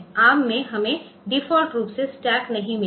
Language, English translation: Hindi, So, in R we did not have stack by default